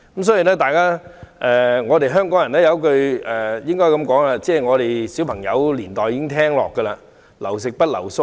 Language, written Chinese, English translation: Cantonese, 所以，香港人有一句話，我們自小便已經聽到，就是"留食不留宿"。, Thus we have been hearing a saying in Hong Kong since childhood and that is offering meals but not accommodation